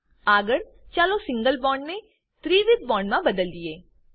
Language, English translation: Gujarati, Next lets convert the single bond to a triple bond